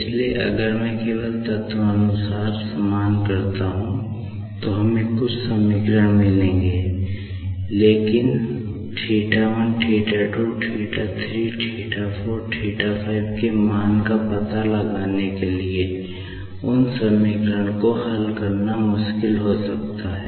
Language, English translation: Hindi, So, if I just equate element wise, we will be getting some equation, but it could be difficult to solve those equations to find out the values of θ1 , θ 2 ,θ 3 ,θ 4 ,θ5